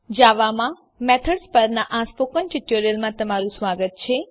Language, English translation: Gujarati, Welcome to the Spoken Tutorial on methods in java